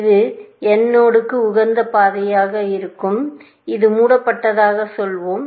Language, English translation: Tamil, Let this be the optimal path to the node n, and let us say that this is in closed; this is in closed